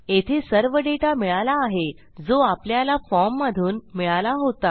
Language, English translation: Marathi, So we have got all the data here that we have extracted from our form